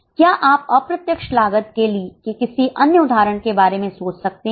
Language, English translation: Hindi, Can you think of any other example of indirect cost